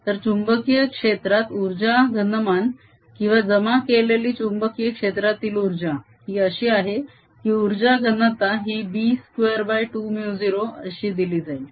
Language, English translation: Marathi, so in the magnetic field the energy density or energy stored in a magnetic field is such that the energy density is given as b square over two mu zero